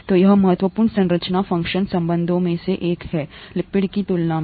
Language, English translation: Hindi, So this is one of the important structure function relationships compared to lipid